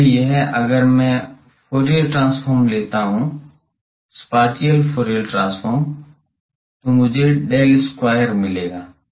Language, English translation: Hindi, So, this one if I take Fourier transform, spatial Fourier transform I get del square